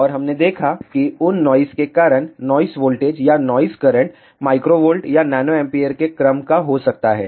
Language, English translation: Hindi, And we had seen that, because of those noises the noise voltage or noise current could be of the order of microvolt or nanoampere